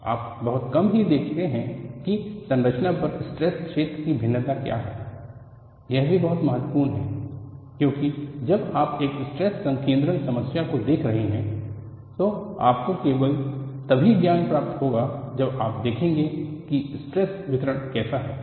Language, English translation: Hindi, You very rarely look at what is the variation of stress feel over the structure; that is also very importantbecause when you are looking at a stress concentration problem, you will get a knowledge only when you look at how there is distribution